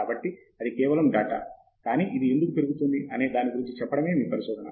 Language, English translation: Telugu, So, that is just data, but why it is increasing is what research is all about